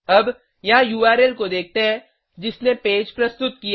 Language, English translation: Hindi, Now, lets have a look at the URL here that rendered the page